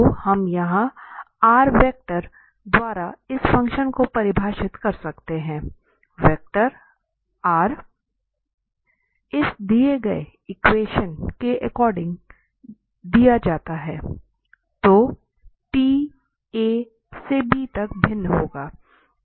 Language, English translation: Hindi, So, we can define such functions by this vector here r, vector r is given by this component x, component y and component z and this t will vary from a to b